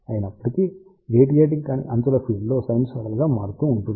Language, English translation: Telugu, However, along the non radiating edges field is varying sinusoidally